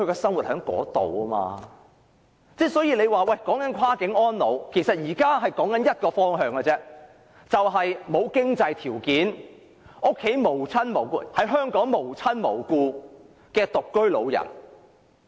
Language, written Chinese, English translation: Cantonese, 所以，現在辯論的"跨境安老"只有一個方向，就是沒有經濟條件、在香港無親無故的獨居老人。, So this debate on Cross - boundary elderly care can only direct at the singleton elders who do not have the economic means and do not have any family or relatives in Hong Kong